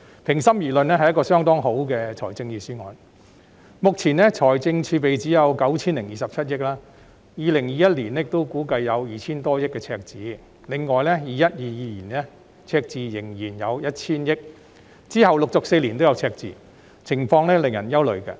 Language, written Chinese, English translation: Cantonese, 目前，本港只有 9,027 億元財政儲備，而赤字估計在2021年仍會有 2,000 多億元，在 2021-2022 年度則仍然會有 1,000 億元，並且往後4年也會有赤字，情況令人憂慮。, At present the fiscal reserves of Hong Kong are only 902.7 billion . While the deficit is expected to stand at 200 - odd billion in 2021 it will still be 100 billion in 2021 - 2022 . Moreover there will also be deficits in the next four years